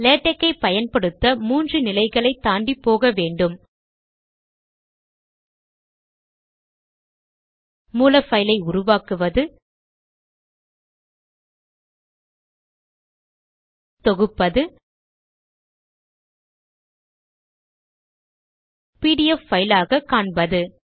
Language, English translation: Tamil, To use latex, one should go through these phases: creation of source, compilation and viewing the pdf file